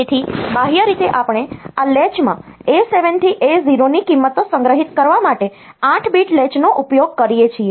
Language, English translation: Gujarati, So, externally we use an 8 bit latch to store the values of A 7 to A 0 into this latch